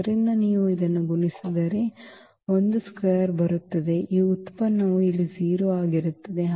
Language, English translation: Kannada, So, if you multiply this a square will come and then this product will be 0 here